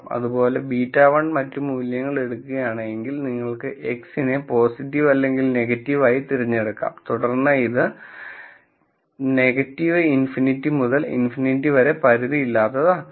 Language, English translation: Malayalam, And similarly if beta one takes the other values, you can correspondingly choose X to be positive or negative and then make this unbounded between minus infinity to infinity